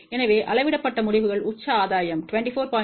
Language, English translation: Tamil, So, measured results let us see peak gain is 24